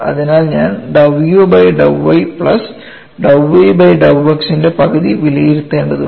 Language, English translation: Malayalam, So, I will have to evaluate one half of dou u by dou y plus dou v by dou x